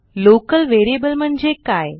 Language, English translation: Marathi, What is a Local variable